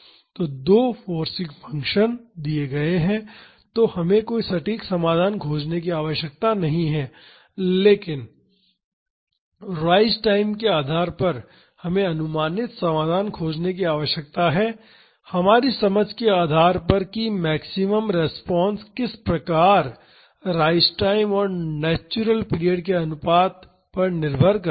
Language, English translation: Hindi, So, two forcing functions are given; so, we do not have to do any exact solution, but depending upon the rise time we need to find an approximate solution, based on our understanding of how the maximum response depends on the ratio of the rise time to the natural period